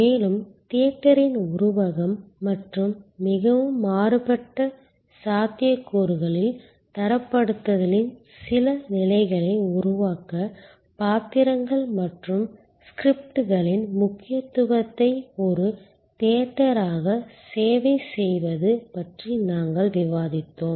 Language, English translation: Tamil, And also we discussed about service as a theater the metaphor of theater and the importance of roles and scripts to create some levels of standardization in highly variable possibilities